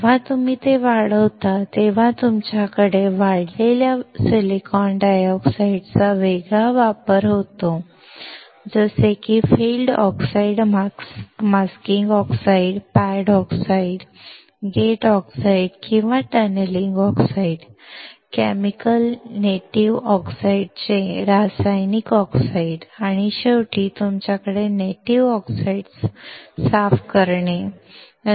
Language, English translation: Marathi, When you grow it, you have different application of the grown silicon dioxide, such as field oxide, masking oxide, pad oxides, gate oxides or tunneling oxides, chemical oxides from chemical native oxides and then finally, you have from cleaning the native oxides